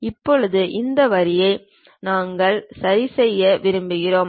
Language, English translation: Tamil, Now, this line we would like to adjust